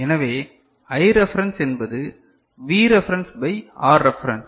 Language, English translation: Tamil, So, I reference is V reference by R reference